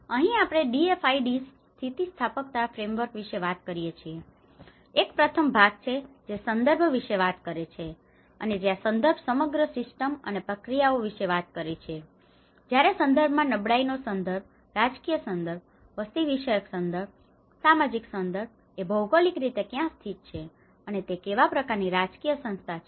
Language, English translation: Gujarati, Here we call about DFIDs resilience framework, so one is the first part which talks about the context and where the context talks about the whole system and the processes and that is where when the context where the vulnerability context, where the political context, where the demographic context, where the social context whether how it geographically positioned, what kind of political institution